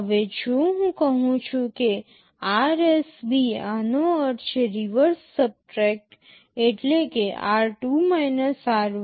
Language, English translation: Gujarati, Now, if I say RSB this stands for reverse subtract this means r2 r1